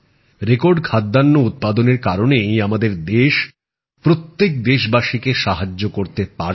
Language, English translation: Bengali, Due to the record food grain production, our country has been able to provide support to every countryman